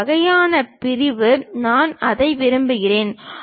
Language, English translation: Tamil, This kind of section I would like to have it